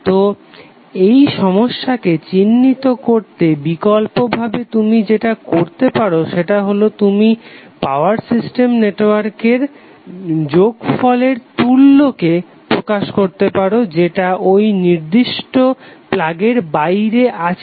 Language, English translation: Bengali, So to address that problem the alternate ways that you can represent the equivalent of the sum of the power system network which is external to that particular plug point